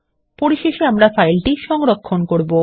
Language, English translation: Bengali, We will finally save the file